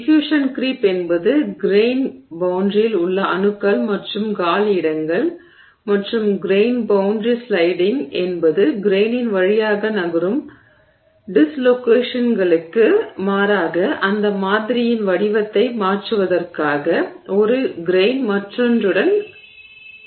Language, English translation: Tamil, Diffusional creep is creep of you know atoms and vacancies along the grain boundary and grain boundary sliding is where one grain slides with respect to the other for the you know shape of that sample to change as opposed to dislocations moving through the grain